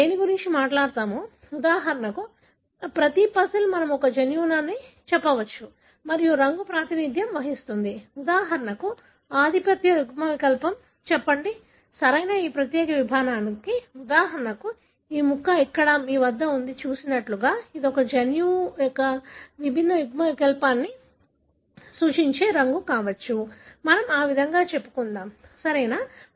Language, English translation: Telugu, So, what we are talking about, each puzzle for example we can say it is a gene and the colour represent, for example the, let us say the dominant allele, right, for that particular piece, for example this piece here that you have seen, it could be a colour represent a different allele of a gene, let us say that way, right